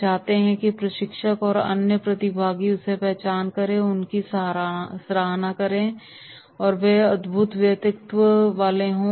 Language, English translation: Hindi, They want that the trainer and other participant should recognise him and they should appreciate him and they say “he is a wonderful personality”